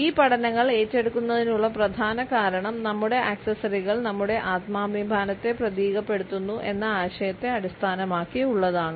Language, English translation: Malayalam, The primary reason for taking up these studies is based on this idea that our accessories symbolize our sense of self respect